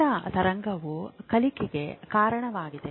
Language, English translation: Kannada, So this theta wave is when you are learning